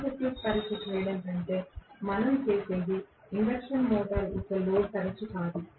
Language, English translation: Telugu, Rather than doing open circuit test what we do is no load test of the induction motor